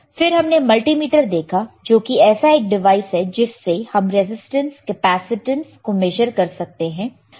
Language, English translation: Hindi, Then we have seen multimeter; multimeter is a device that can be used to measure resistance, capacitance, right